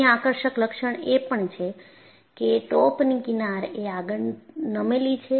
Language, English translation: Gujarati, The other striking feature is the fringes in the top are tilted forward